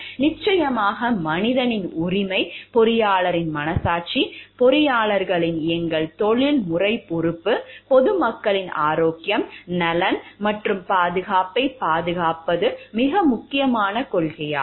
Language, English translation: Tamil, Then of course, the right of the person, the conscience of the engineer as our professional responsibility of the engineer, to protect the health, welfare and safety of the public at the large, is the overriding principle